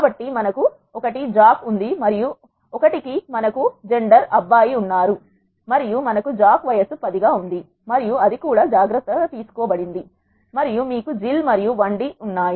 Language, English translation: Telugu, So, we have 1 Jack and for 1 we have boy and we have age of Jack as 10 and that is also been taken care, and you have Jill and the Id variable of Jill is 2